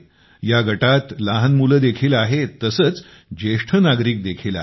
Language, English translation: Marathi, There are children as well as the elderly in this group